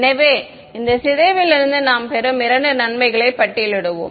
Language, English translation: Tamil, So, let us just sort of list out the two advantages that we will get from this ok